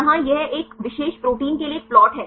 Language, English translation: Hindi, So, here it is a plot for a particular protein